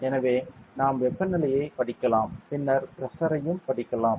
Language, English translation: Tamil, So, we can read the Temperature, then also we can read the Pressure ok